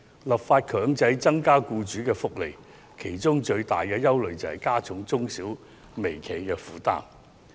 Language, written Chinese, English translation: Cantonese, 立法強制增加僱員福利惹來最大的憂慮之一，是會加重中小企和微企的負擔。, One major concern over mandating an increase of employee benefits through legislation is that this will add to the already heavy burden of SMEs and micro enterprises